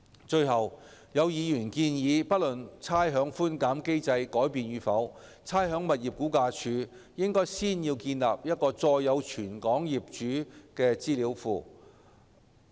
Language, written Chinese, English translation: Cantonese, 最後，有議員建議，不論差餉寬減機制改變與否，差餉物業估價署應先建立載有全港業主資料的資料庫。, Lastly some Members advised that regardless of whether the rates concession mechanism is to be modified or not the Rating and Valuation Department RVD should first build up a database that contains information of property owners across the territory